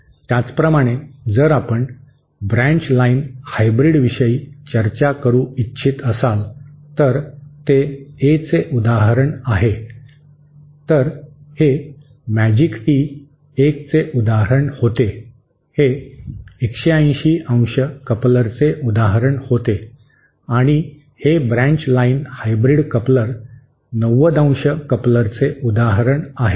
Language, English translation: Marathi, Similarly if we would like to discuss the branch line hybrid, so that is an example of a, so this magic tee was an example of a, it was an example of a 180 ¡ coupler and this branch line hybrid coupler is an example of a 90¡ coupler